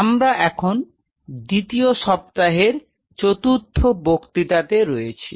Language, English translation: Bengali, So, today we are into the 4 th lecture of the second